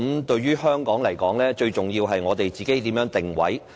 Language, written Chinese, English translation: Cantonese, 對於香港來說，最重要的是我們如何定位。, To Hong Kong the most important thing is how we should position ourselves